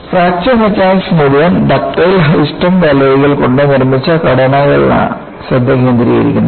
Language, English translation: Malayalam, The whole of Fracture Mechanics focuses on structures made of ductile, high strength alloys